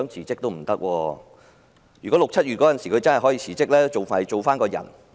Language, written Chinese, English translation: Cantonese, 在6月、7月，如果她可以辭職，還可以做一個正常人。, In June or July if she could quit she could still be a normal human being